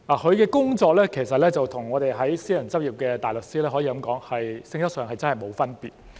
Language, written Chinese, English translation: Cantonese, 他的工作與私人執業的大律師的工作，性質上可以說是沒有分別。, They met in court every day . The nature of his work could be regarded as no difference from that of a barrister in private practice